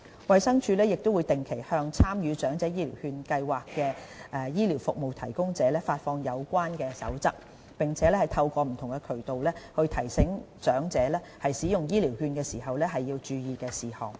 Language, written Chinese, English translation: Cantonese, 衞生署亦定期向參與長者醫療券計劃的醫療服務提供者發放有關守則，並透過不同渠道，提醒長者使用醫療券時應注意的事項。, HD also issues regularly to participating service providers the relevant practices and reminds elderly persons through different channels the points to note when using vouchers